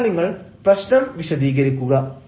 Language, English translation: Malayalam, so then you explain the problem